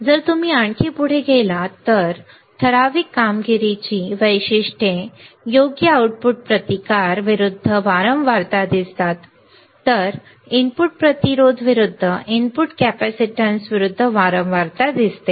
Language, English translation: Marathi, If you go further yeah if you go further what we see typical performance characteristics right output resistance versus frequency, then we see input resistance versus input capacitance versus frequency